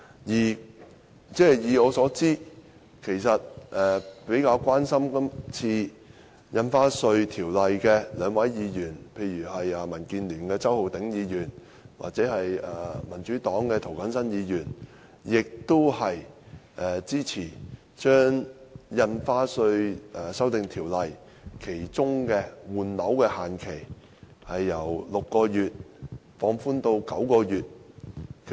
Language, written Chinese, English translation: Cantonese, 據我所知，較關心《條例草案》的兩位議員，即民建聯的周浩鼎議員及民主黨的涂謹申議員，均支持把《條例草案》中的換樓退稅限期由6個月放寬至9個月。, As far as I know two Members who are concerned about the Bill namely Mr Holden CHOW from the Democratic Alliance for the Betterment and Progress of Hong Kong and Mr James TO from the Democratic Party both support the extension of the time limit for property replacement under the refund mechanism stipulated in the Bill from six months to nine months